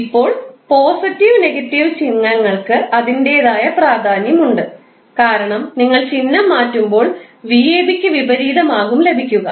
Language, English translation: Malayalam, Now, positive and negative sign has its own importance because when you change the sign you will simply get opposite of v ab